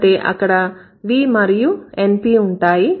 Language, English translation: Telugu, It would have V and NP